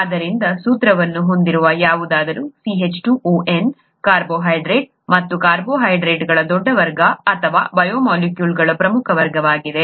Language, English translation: Kannada, So, anything with a formula N is a carbohydrate and carbohydrates are a large class or an important class of biomolecules